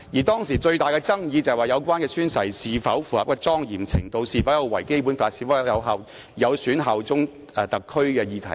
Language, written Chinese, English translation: Cantonese, 當時最大的爭議是有關宣誓的莊嚴程度、是否有違《基本法》，以及是否有損對特區的效忠的議題。, The most controversial issues back then concerned the solemnity of the relevant oaths whether they contravened the Basic Law and whether they undermined allegiance to the Special Administrative Region SAR